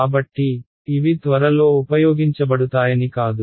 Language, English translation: Telugu, So, it is not I mean these will be used very soon